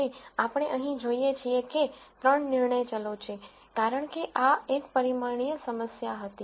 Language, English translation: Gujarati, And as we see here there are 3 decision variables, because this was a 2 dimensional problem